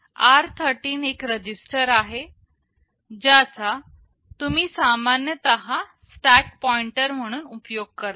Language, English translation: Marathi, I said r13 is a register that you typically use as the stack pointer